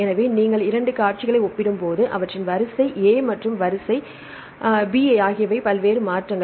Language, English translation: Tamil, So, when you compare 2 sequences their sequence A and sequence B what are various different changes